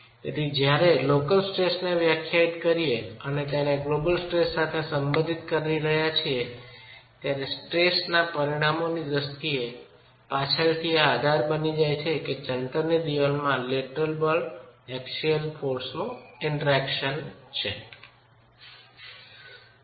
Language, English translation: Gujarati, So, while we are defining this at the level of local stresses and relating it to the global stresses, this becomes the basis for us even later to establish in terms of stress resultants what is the lateral force axial force interaction in a masonry wall